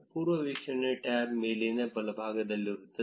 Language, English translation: Kannada, The preview tab will be on the top right